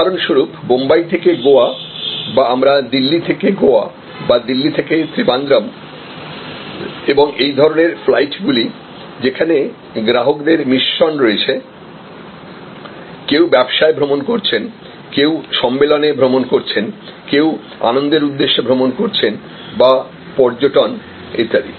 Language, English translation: Bengali, Say for example, Bombay to Goa or we are looking at Delhi to Goa or Delhi to Trivandrum and similar flights, flights, where we have a mix of customers, some are traveling on business, some are traveling for conferences, some are traveling for pleasure and tourism and so on